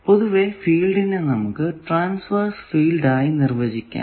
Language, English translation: Malayalam, So, generally the field can be described like this that transverse field e t